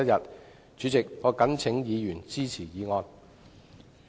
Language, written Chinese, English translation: Cantonese, 代理主席，我謹請議員支持議案。, Deputy President I implore Members to support the motion